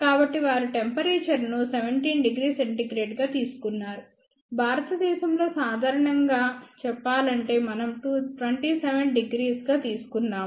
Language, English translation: Telugu, So, they have taken temperature as 17 degree centigrade of course in India, generally speaking we put have taken as 27 degree